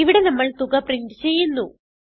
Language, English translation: Malayalam, Here we print the sum This is our main function